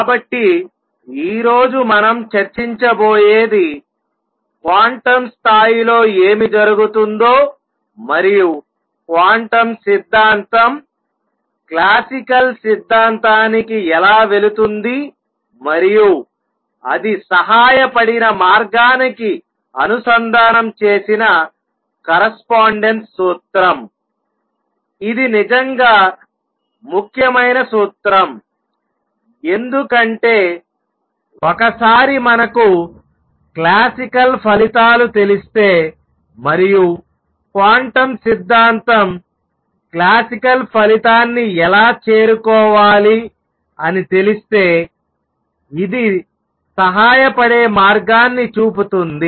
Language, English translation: Telugu, So, what we are going to discuss today is the correspondence principle that made a connection of what happens at quantum level and how quantum theory goes over to classical theory and the way it helped, it is a really important principle because the way it helps is that once we knew the classical results and how quantum theory should approach the classical result, one could sort of backtrack and extrapolate to the quantum regime what would happen there